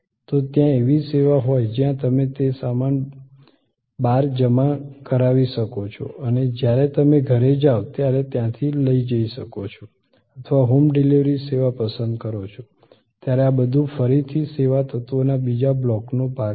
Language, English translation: Gujarati, You want to deposit it and collect it, when you are going back or pick up of home delivery service, all these are again part of the another block of service elements